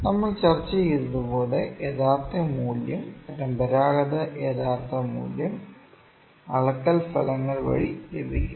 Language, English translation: Malayalam, So, it goes like this as we discussed true value conventional true value is obtained the measurement results